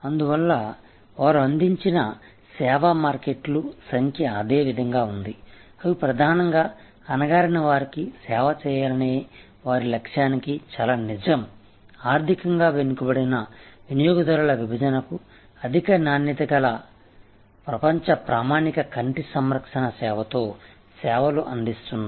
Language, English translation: Telugu, So, number of markets served remains for them same, they are primarily very true to their mission of serving the downtrodden, serving the economically week customer segments with high quality global standard eye care service